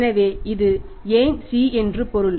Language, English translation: Tamil, So, it means why C it is why it is C